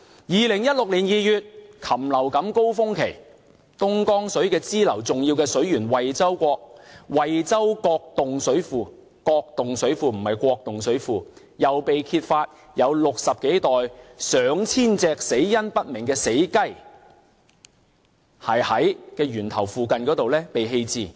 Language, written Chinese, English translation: Cantonese, 2016年2月，禽流感高峰期，東江水支流的重要水源惠州角洞水庫——是角洞水庫，不是國洞水庫——又被揭發有60多袋上千隻死因不明的死雞在源頭附近被棄置。, In February 2016 during the peak season of avian influenza outbreak more than 60 bags of dead chickens were found near the source of one of the tributaries of the Dongjiang water Jiaodong Reservoir―it is Jiaodong Reservoir not Guodong Reservoir